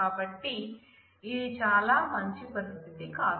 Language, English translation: Telugu, So, this is not a very good situation